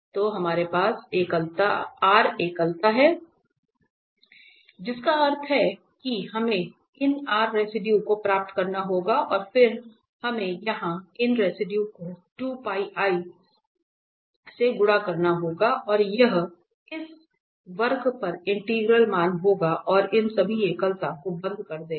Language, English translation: Hindi, So, we have r singularities that means we have to get these r residues and then we have to sum here these residues multiply by 2 Pi i and that will be the integral value over this curve and closes all these singularities